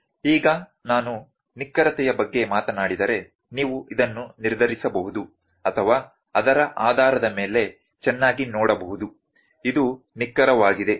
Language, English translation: Kannada, Now, if I talk about precision and accuracy, you can very all determine or very well look into this based upon that, this is accurate